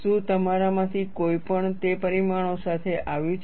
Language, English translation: Gujarati, Have any one of you come with those results